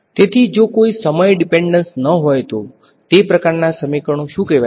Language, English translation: Gujarati, So, if there is no time dependence, what are those kinds of equations called